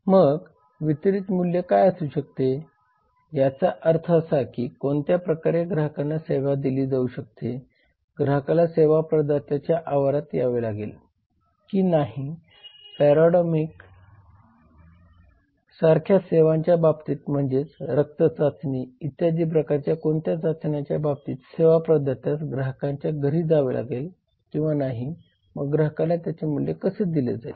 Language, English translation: Marathi, then deliver value that means in what ways the service can be delivered to the customer whether the customer has to come to the service provider premises or whether the service provider like a paramedic has to visit the place of the customer visit the house of the customer to for any kind of test like blood test etc So how the value would be deliver to the customer